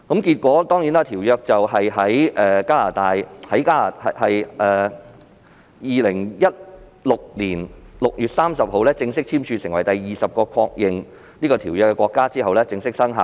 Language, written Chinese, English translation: Cantonese, 結果，在2016年6月30日，《馬拉喀什條約》在加拿大正式簽署成為第二十個締約國後正式生效。, On 30 June 2016 the Marrakesh Treaty eventually came into force after Canada formally signed as the twentieth contracting party